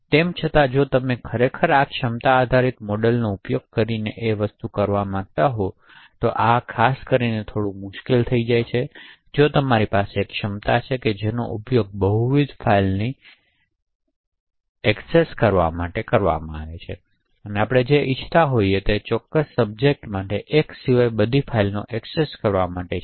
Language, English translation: Gujarati, However if you want to actually do this using the capability base model, this could get a little bit tricky specially if you have one capability that is use to service multiple files and what we want is for that particular subject to access all the files except one, so this is very difficult to do with the capability base model